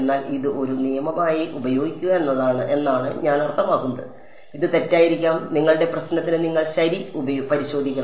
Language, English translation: Malayalam, But I mean just use this as a rule of thumb it may be wrong also for your problem you should check ok